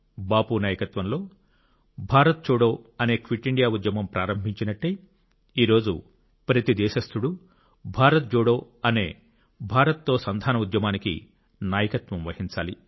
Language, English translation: Telugu, Just the way the Quit India Movement, Bharat Chhoro Andolan steered under Bapu's leadership, every countryman today has to lead a Bharat Jodo Andolan